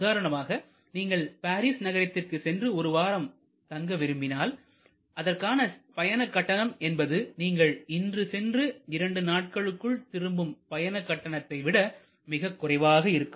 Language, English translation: Tamil, So, if you are taking a ticket for Paris for a week; that means, you retuning after 1 week the price is most likely to be cheaper than a price which is you go today and comeback tomorrow or 2 days later